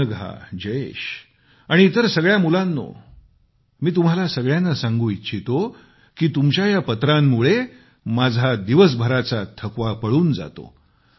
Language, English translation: Marathi, Let me tell Anagha, Jayesh & other children that these letters enliven me up after a hard day's work